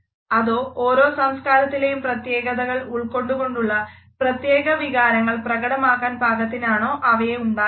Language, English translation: Malayalam, Or should they be tailored to express emotions in such a manner which are a specific to a particular culture